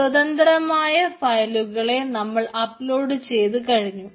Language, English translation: Malayalam, so the individual files has been uploaded